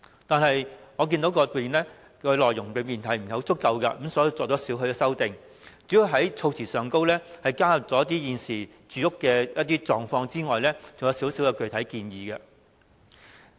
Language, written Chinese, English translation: Cantonese, 但是，我看到議案的內容並不足夠，作出少許修訂，除了在措辭中反映現時市民的住屋狀況外，還提出一些具體建議。, In seeing the inadequacy of the contents of the motion I have thus made certain amendments to propose a number of specific recommendations apart from reflecting peoples current living conditions